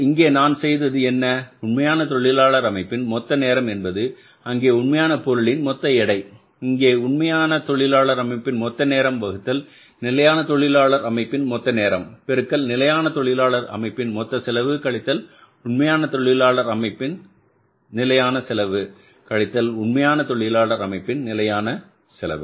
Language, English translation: Tamil, There it was the total weight of the actual material and here it is total time of the actual labor composition divided by the total time of the standard labor composition into standard cost of standard labor composition minus standard cost of the actual labor composition